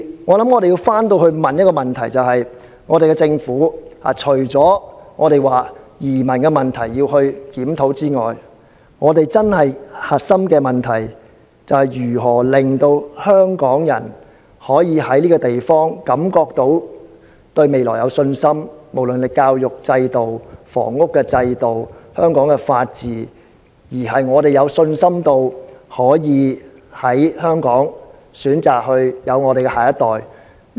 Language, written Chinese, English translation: Cantonese, 我想要反過來要問一個問題，就是政府除了要檢討移民問題外，本港真正的核心問題，就是如何讓香港人對香港這個地方可以感到有信心——無論是教育、房屋、法治——可以在香港選擇生育下一代。, I would conversely like to put a question to the authorities Apart from reviewing the immigration policy how can the Government genuinely deal with the core issue of building up confidence among Hong Kong people in the education system housing policy and the rule of law in this city so that they can put their mind at ease settle down and raise their children here in Hong Kong?